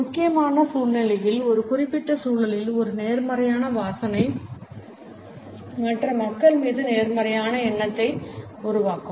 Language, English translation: Tamil, A positive smell in a particular context in a critical situation can create a positive impression on the other people